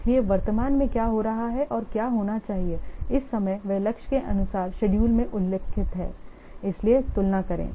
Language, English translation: Hindi, So, what is currently happening and what should be there at this time as per mentioned in the schedule as for the targets